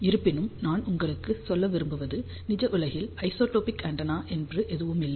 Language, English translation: Tamil, However, I want to tell you there is a no isotropic antenna in the real world